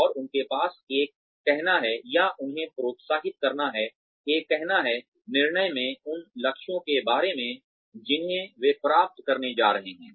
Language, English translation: Hindi, And, have them, have a say, in or encourage them, to have a say, in the decision, regarding goals that, they are going to be expected to achieve